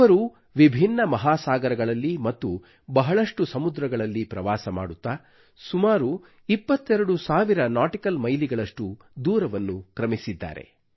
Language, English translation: Kannada, They traversed a multitude of oceans, many a sea, over a distance of almost twenty two thousand nautical miles